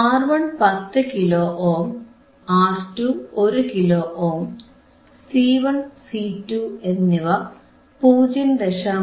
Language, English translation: Malayalam, right R 1 is 10 Kilo Ohm, R 2 is 1 Kilo Ohm, C 1 and C 2 are 0